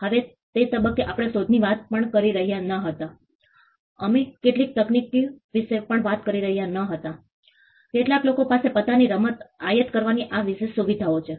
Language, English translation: Gujarati, Now at that point we were not even talking about inventions we were not even talking about technologies some people have these exclusive privileges to import playing cards